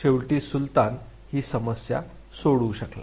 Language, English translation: Marathi, Finally, Sultan could solve the problem